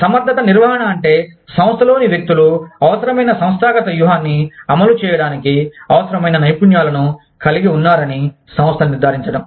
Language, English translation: Telugu, Competence management is, those things, that the organization does, to ensure that, the individuals in the organization, have the skills required, to execute a given organizational strategy